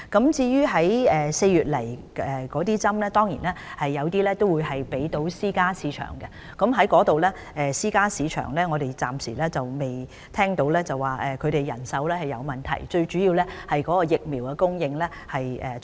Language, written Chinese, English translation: Cantonese, 至於4月到港的疫苗，有部分會分配到私營市場，我們暫時沒有聽到私營醫療市場有人手短缺的問題，現時最主要的問題是疫苗供應是否充足。, When the vaccine arrives in Hong Kong in April some of them will be distributed to the private sector and so far we have not heard of manpower shortage in the private health care sector . The biggest problem at the moment is to secure an adequate supply of vaccines